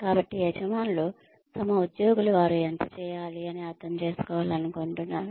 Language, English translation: Telugu, So, employers want their employees to understand, how much they need to do